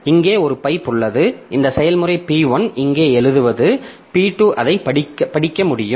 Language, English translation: Tamil, So, whatever this process P1 writes here, P2 can read it